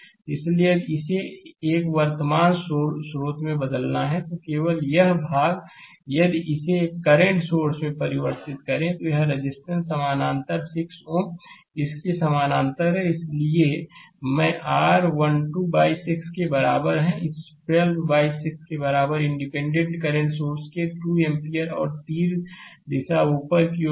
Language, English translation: Hindi, So, if you want to convert it to a current source right, only this portion, if you convert it to a current source and a resistance parallel 6 ohm parallel to it, therefore, i is equal to your 12 by 6 this 12 by 6 is equal to 2 ampere your arrow direction of the independent current source will be upward right